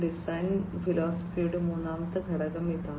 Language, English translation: Malayalam, This is what is the third component of the design philosophy